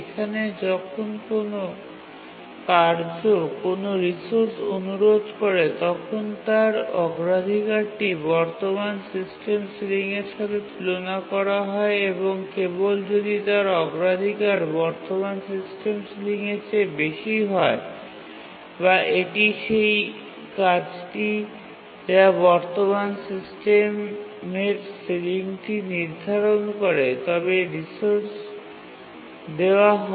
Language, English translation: Bengali, Here when a task requests a resource, its priority is compared to the current system ceiling and only if its priority is more than the current system ceiling or it is the task that has set the current system ceiling it is granted a resource